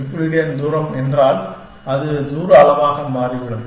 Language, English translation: Tamil, If this is the Euclidean distance, as the distance measure it turns out